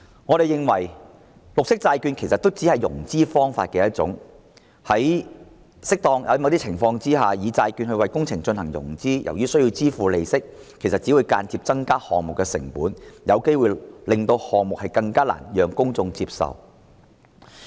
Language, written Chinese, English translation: Cantonese, 我們認為，綠色債券其實只是融資方法的一種，在某些情況下，透過債券為工程進行融資，由於須支付利息，其實只會間接增加項目成本，有機會令公眾更難接受有關項目。, In our opinion green bond is merely a financing option . Under certain circumstances raising funds for a project through bond issuance will increase the costs indirectly due to the interest obligation thereby making the project even more unacceptable to the public